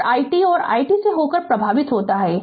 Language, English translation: Hindi, And i t is and current flowing through the i t right